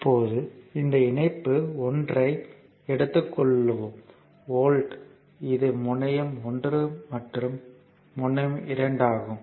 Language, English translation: Tamil, Now, take this connection 1 here, the volt this is terminal 1 and terminal 2